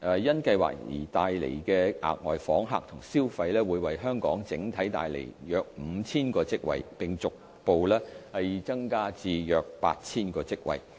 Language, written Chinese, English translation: Cantonese, 因計劃所帶來的額外訪客及消費會為香港整體帶來約 5,000 個職位，並逐步增加至約 8,000 個職位。, Moreover the additional visitors and their spending arising from the expansion and development plan would bring about 5 000 jobs to Hong Kongs economy which would progressively increase to around 8 000 jobs